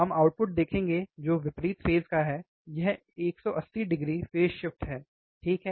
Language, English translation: Hindi, We will see output which is opposite phase, this is 180 degree phase shift, alright